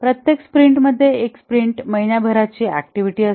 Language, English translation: Marathi, In each sprint, a sprint is a month long activity